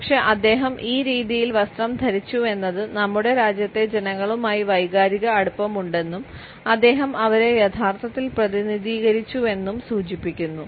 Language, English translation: Malayalam, But the very fact that he was dressed in this manner suggested that he had an emotional attachment with the masses of our country and he truly represented them